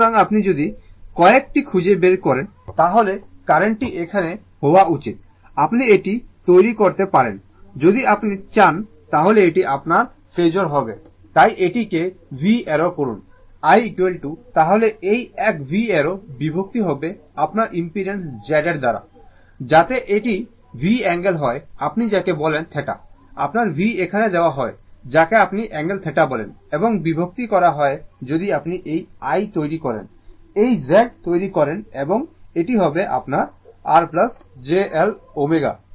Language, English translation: Bengali, So, and if you try to find out what is the current, so current should be is equal to here you can make it, if you want it is your phasor, so make it v arrow; i is equal to then this one v arrow by divided by that that your impedance Z, so that is equal to it is v angle your what you call theta sorry this one, your v is given here what you call angle theta, and divided by if you made this i, this Z, it will be R plus j L omega right